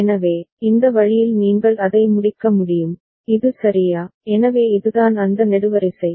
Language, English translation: Tamil, So, this way you can complete it, is it fine right, so this is that column